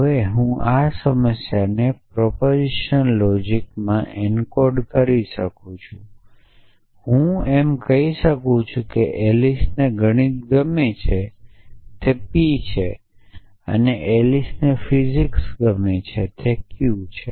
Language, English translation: Gujarati, So, I can now encode this problem in propositional logic and I can say a that Alice like math’s is p and Alice likes physics is q